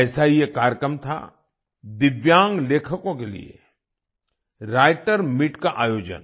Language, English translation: Hindi, One such program was 'Writers' Meet' organized for Divyang writers